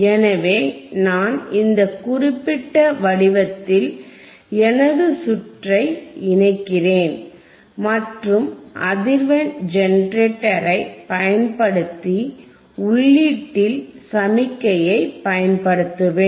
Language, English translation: Tamil, So, I will connect my circuit in this particular format and I will apply the signal at the input using the frequency generator